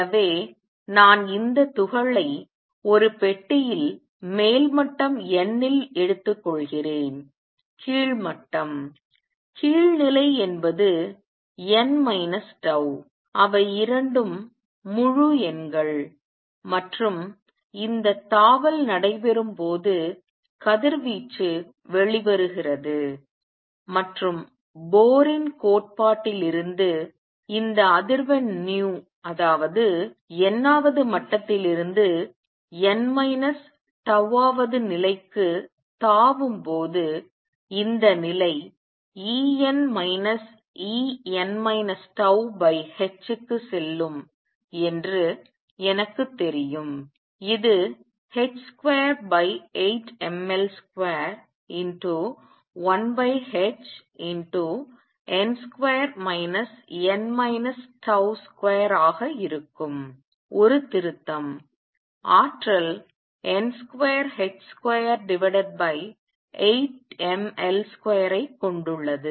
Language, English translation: Tamil, So, I am taking this particle in a box at an upper level n lower level; lower level is n minus tau, they both are integers and when this jump takes place, radiation comes out and from Bohr’s theory, I know that this frequency nu when it is jumping from nth level to n minus tau th level is going to be E n minus E n minus tau divided by h which is going to be h square over 8 m L square 1 over h n square minus n minus tau square, a correction; the energy has h square over 8 m L square times n square